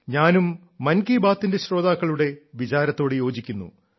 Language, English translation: Malayalam, I too agree with this view of these listeners of 'Mann Ki Baat'